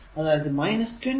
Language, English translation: Malayalam, So, it is 10 volt